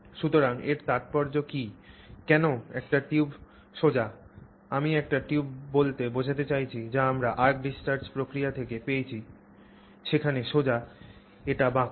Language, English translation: Bengali, Why is it that one tube is straight and the other tube, I mean one tube that we saw from the arc discharge process is straight whereas this is curved